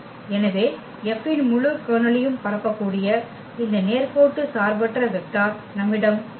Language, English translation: Tamil, So, we have this linearly independent vector which can span the whole Kernel of F